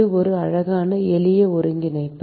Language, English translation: Tamil, It is a pretty simple integration